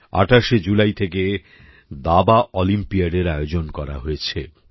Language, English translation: Bengali, This is the event of Chess Olympiad beginning from the 28th July